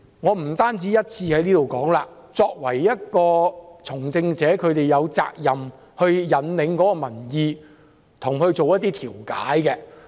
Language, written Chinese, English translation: Cantonese, 我不止一次在這裏說，作為從政者，反對派議員有責任引領民意，並作出調解。, I have said more than once that opposition Members as persons engaged in politics have the responsibility to lead public opinion and mediate